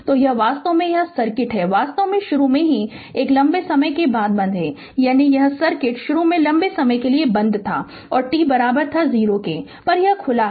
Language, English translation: Hindi, So, this is actually this is the circuit actually initially it was initially it was closed for a long time; that means, this this circuit initially was closed for a long time and at t is equal to 0 it was open right